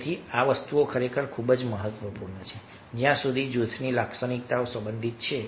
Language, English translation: Gujarati, so all these things are very, very essential and important so far as the functioning of the group is concerned